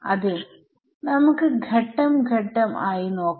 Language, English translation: Malayalam, So, let us come to it step by step